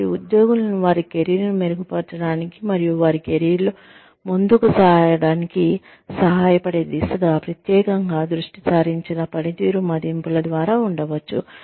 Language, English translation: Telugu, So, employees could be, put through performance appraisals, that are specifically oriented towards, and geared towards, helping them improve their careers, and advance in their careers